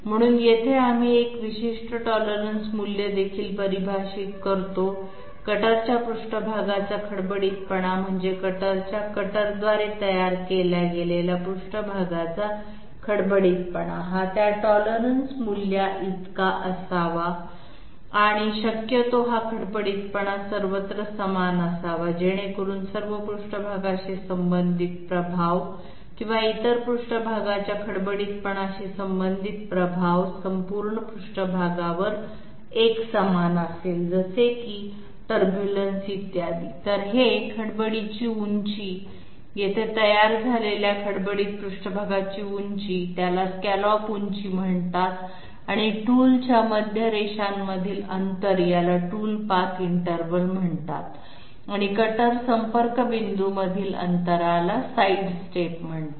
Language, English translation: Marathi, Therefore, here also we define a particular tolerance value within which this cutter surface roughness I mean cutter surface roughness is created by the cutter, this has to be within that tolerance and preferably this roughness should be the same everywhere so that all surface related effects or other surface roughness related effects will be uniform all over the surface like say for example, turbulence, et cetera